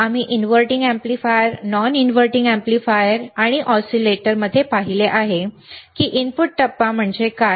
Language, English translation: Marathi, Wwe have seen in inverting amplifier, we have seen in non inverting amplifier, and iwe have seen in oscillators, that what is the input phase